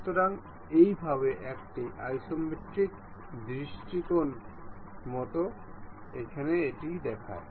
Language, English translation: Bengali, So, this is the way isometric view really looks like